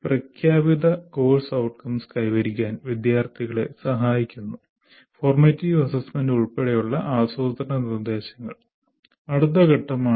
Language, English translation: Malayalam, And then after doing this, planning instruction including formative assessment that facilitate the students to attain the stated course outcomes